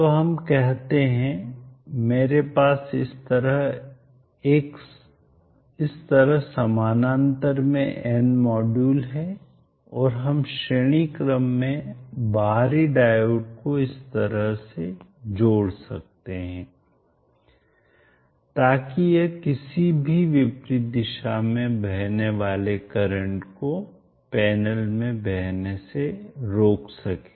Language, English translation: Hindi, So let us say I have n modules in parallel like this and we can connect external diodes in series like this, such that it blocks any reverse current flowing into the panels